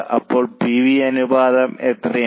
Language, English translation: Malayalam, So, how much is PV ratio